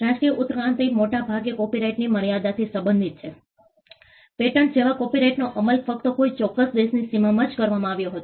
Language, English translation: Gujarati, The national evolution largely pertained to the limits of copyright; copyright like patent was enforced only within the boundaries of a particular country